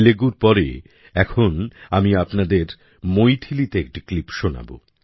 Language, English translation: Bengali, After Telugu, I will now make you listen to a clip in Maithili